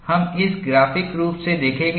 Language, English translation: Hindi, We would see this graphically